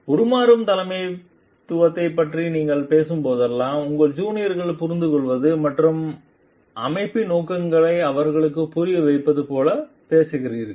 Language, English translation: Tamil, Whenever, you are talking of transformational leadership you are talking of like understanding along with your juniors and making them understand of the objectives of the organization also